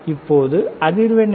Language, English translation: Tamil, Now, what is the frequency